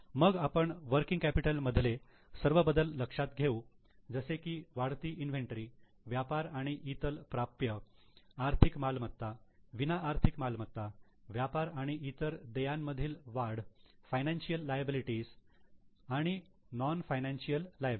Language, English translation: Marathi, Then we will consider all the working capital changes like increasing inventory, trade and other receivable, financial assets, non financial assets, increase in trade and other payables, financial liabilities, non financial liabilities